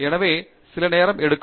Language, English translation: Tamil, So, that takes some time